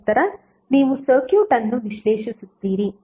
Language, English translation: Kannada, And then you will analyze the circuit